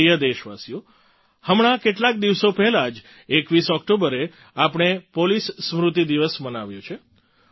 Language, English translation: Gujarati, just a few days ago, on the 21st of October, we celebrated Police Commemoration Day